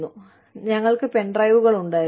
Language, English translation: Malayalam, And then, we had pen drives